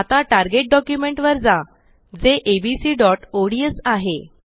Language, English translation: Marathi, Now switch to the target document, which is abc.ods